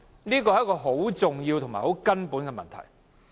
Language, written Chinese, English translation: Cantonese, 這是很重要也很根本的問題。, It is an issue which is both important and fundamental